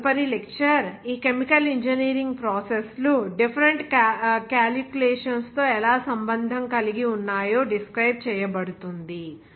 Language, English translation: Telugu, Now next lecture onward, It will be described how these chemical engineering processes are involved with different calculations